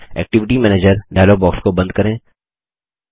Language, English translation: Hindi, Lets close the Activity Manager dialog box